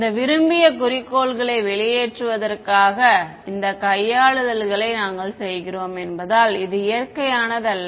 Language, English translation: Tamil, This is not what nature as given as we are doing these manipulations to get these desired objectives out of it that is